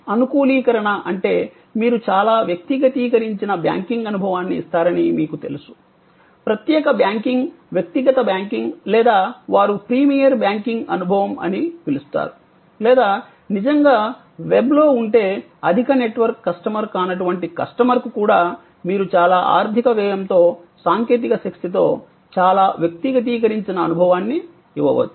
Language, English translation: Telugu, Customization that means, you know you give the banking experience which is very personalized, privilege banking personal banking or what they call premier banking experience or if you are actually on the web then even a customer who is may not be a high network customer